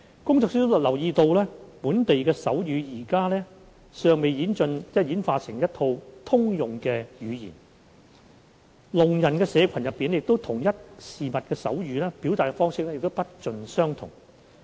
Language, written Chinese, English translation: Cantonese, 工作小組留意到，本地手語尚未演化出一套通用的語言，聾人社群間就同一事物的手語表達方式不盡相同。, The working group notes that a common form of local sign language has not yet evolved . The deaf community are still using different signs to stand for the same objects